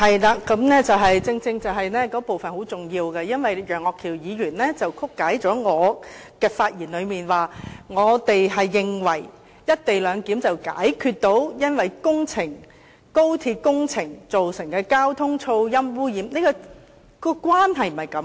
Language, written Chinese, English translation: Cantonese, 那部分正正是很重要的，因為楊岳橋議員曲解了我的發言，指我們認為實行"一地兩檢"能解決高鐵工程所造成的交通、噪音和污染問題，但當中的關係並非如此。, That is a very important part because Mr Alvin YEUNG has distorted my speech . He quotes us as saying that we think the implementation of the co - location arrangement can resolve the transport noise and pollution problems brought by the XRL works . But that is not what I mean